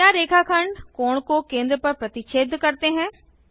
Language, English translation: Hindi, Does the line segment bisect the angle at the centre